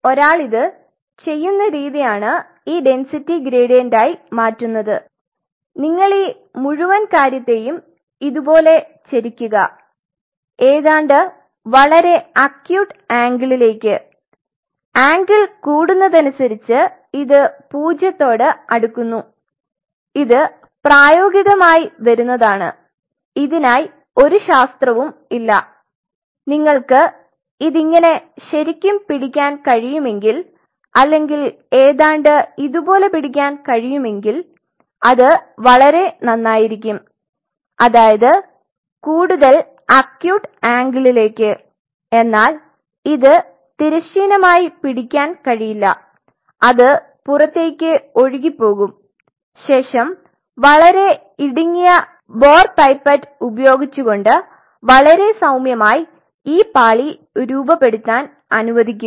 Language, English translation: Malayalam, The way one should do this make this density gradient is something like this you till the whole thing like this almost at an very acute angle that the more the angle is kind of closing to zero like if you can really hold it and this comes by practice there is no other there is no science in it or almost like this that will be the best, The more the acute angle is you cannot make it horizontal reserves it is going to flow out and using a very narrow bore pipette here is very gently allow the stop to form that layer something like this